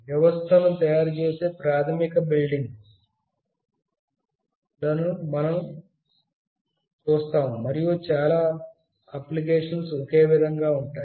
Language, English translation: Telugu, We will see the basic building blocks that make up the system and are the same in most of the applications